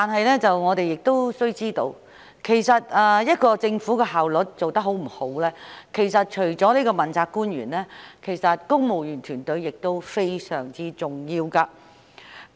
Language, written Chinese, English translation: Cantonese, 然而，須知道一個政府的效率高低，除了問責官員，公務員團隊也非常重要。, However one must know that the efficiency of the Government hinges not only on its principal officials but also on the civil service